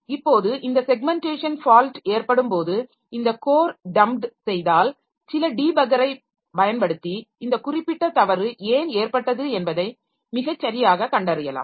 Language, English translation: Tamil, Now, so when this segmentation fault occurs, so if this core is dumped then later on some debugger can be used to trace why exactly this particular fault occurred